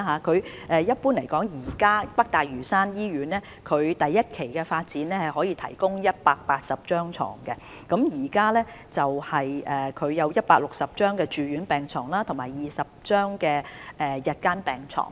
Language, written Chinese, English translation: Cantonese, 整體而言，北大嶼山醫院第一期發展可以提供180張病床，包括160張住院病床及20張日間病床。, On the whole NLH can provide 180 hospital beds under its first - phase development and they comprise 160 inpatient beds and 20 day beds